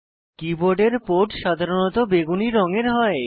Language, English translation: Bengali, The port for the keyboard is usually purple in colour